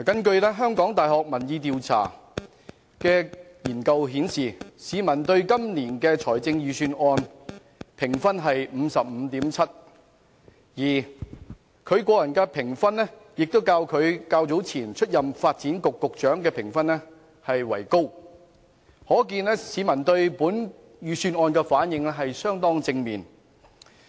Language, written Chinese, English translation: Cantonese, 根據香港大學民意研究計劃的調查結果，市民對今年預算案的評分是 55.7 分，而對陳茂波的個人評分亦較他之前出任發展局局長時為高，可見市民對本預算案的反應相當正面。, According to the findings of a survey conducted by the Public Opinion Programme of the University of Hong Kong the rating for this years Budget is 55.7 and Paul CHAN has attained a higher popularity rating than that when he was the Secretary for Development meaning that the publics response to this Budget is positive